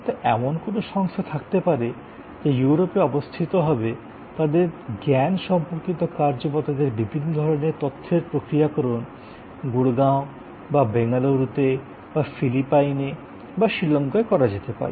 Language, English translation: Bengali, So, there can be an organization which is operating in the heart of Europe, but their knowledge work or their processing of their various kinds of background information may be done in Gurgaon or in Bangalore in India or could be done in Philippines or in Sri Lanka